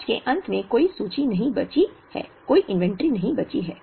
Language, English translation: Hindi, There is no inventory left at the end of the year